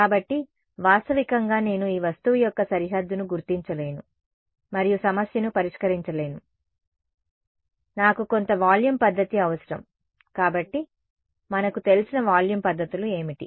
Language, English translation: Telugu, So, realistically I cannot just discretize the boundary of this object and solve the problem, I need some volume method either so, what are the volume methods that we know of